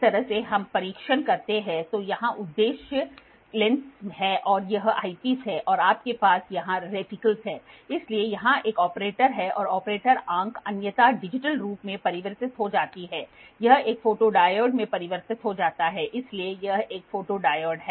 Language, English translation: Hindi, So, this is how we test, so here is the objective lens this is the eyepiece and you have reticles here, so here is an operator the operator eye is otherwise converted in a digital form it is converted into a photodiode, so it is a photodiode